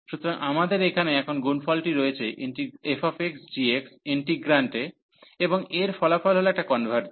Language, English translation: Bengali, So, we have now the product here in the integrant f x g x, and this converges that is the result